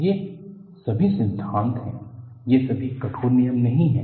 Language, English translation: Hindi, These are all Thumb Rules; these are all not rigid rules